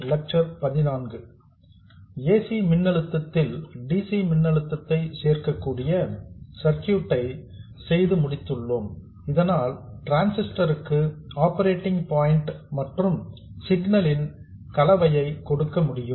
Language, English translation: Tamil, We have now come up with a circuit which can add DC voltage to an AC voltage so that to the transistor we can provide the combination of the operating point and the signal